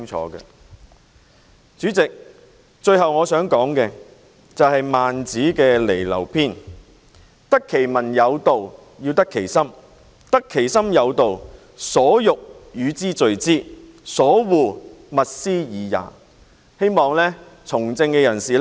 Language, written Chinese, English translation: Cantonese, 代理主席，最後我想引述孟子《離婁》篇："得其民有道：得其心，斯得民矣；得其心有道：所欲與之聚之，所惡勿施爾也"，希望從政人士能夠緊記這一點。, Deputy President lastly I would like to cite a quotation from Li Lou by Mencius . He said [T]he way to win the support and confidence of the people is to do what will benefit the people and undo what the people detest . I hope politicians would bear this in mind